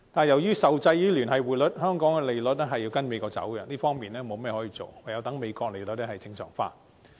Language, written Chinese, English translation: Cantonese, 由於受制於聯繫匯率，香港的利率要跟隨美國走向，我們在這方面確實無計可施，唯有等美國利率正常化。, Under the linked exchange rate system the interest rates of Hong Kong have to move in tandem with those of the United States . We indeed can do nothing on this front other than waiting for the United States interest rates to be normalized